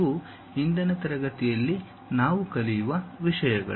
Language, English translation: Kannada, These are the things what we will learn in today's class